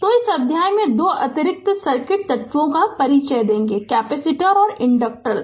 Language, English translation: Hindi, So, in this chapter we shall introduce that two additional circuit elements that is your capacitors and inductors right